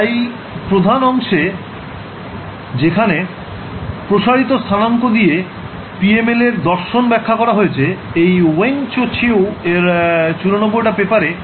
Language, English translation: Bengali, So, the paper main the main paper which are referred to for explaining the philosophy of PML using stretched coordinates is this 94 paper by Weng Cho Chew